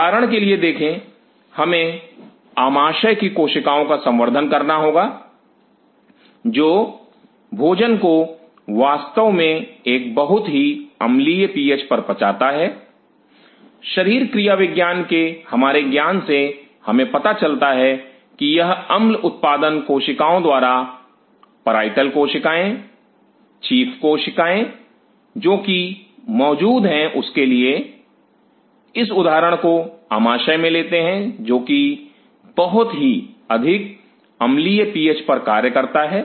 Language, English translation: Hindi, See for example, we have to culture the cells of the stomach which digest the food at a very acidic PH of course, from our knowledge of physiology, we know that that this acid production by the cells parietal cells chief cells which have present in the just for those taking this example in the stomach which is which functions at a very acidic PH